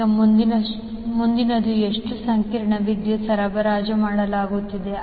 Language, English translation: Kannada, Now, next is how much complex power is being supplied